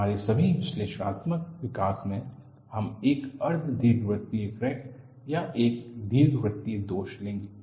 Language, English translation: Hindi, In all our analytical development, we would take a semi elliptical crack or an elliptical flaw inside